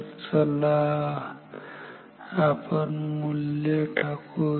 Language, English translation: Marathi, So, now, let us put the values